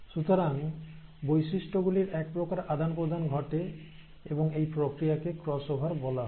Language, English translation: Bengali, So that kind of a shuffling of characters have happened, and that process is called as the cross over